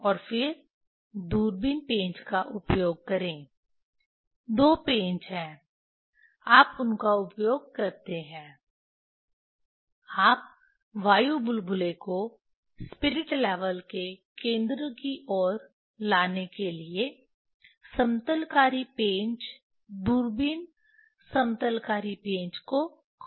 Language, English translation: Hindi, And then use telescope screw two screws are there, you use them, you rotate the leveling screw telescope leveling screw to bring the air bubble towards the center of the spirit level